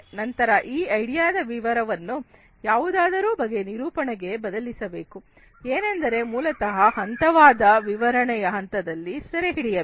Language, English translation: Kannada, Next is the explanation this idea has to be transformed into some kind of a representation that is basically captured through the phase explanation phase